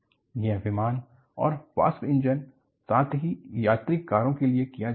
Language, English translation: Hindi, In fact, this is done for aircraft and locomotives, as well as the passenger cars